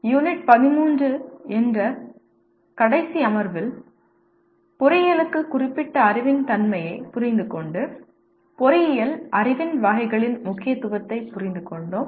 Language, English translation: Tamil, In the last session that is Unit 13, we understood the nature of knowledge that is specific to engineering and understood the importance of categories of engineering knowledge